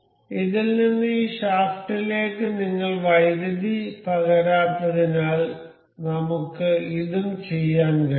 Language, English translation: Malayalam, So, because we have not transmitted power from this to this shaft, we can also do this